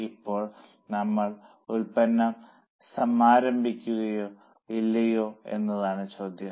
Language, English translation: Malayalam, Now the question is, shall we launch the product or not launch